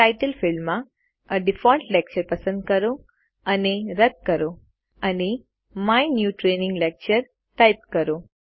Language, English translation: Gujarati, In the Title field, select and delete the name A default lecture and type My New Training Lecture